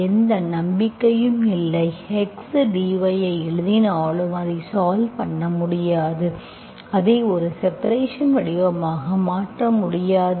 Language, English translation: Tamil, I do not have any hope, even if you write the x dy, you cannot make it a, you cannot make it a separable form, okay